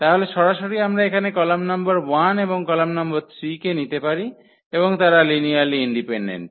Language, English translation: Bengali, So, a straight forward we can pick the column number 1 here and the column number 3 and they will be linearly independent